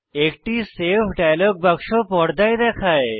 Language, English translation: Bengali, A Save dialog box appears on the screen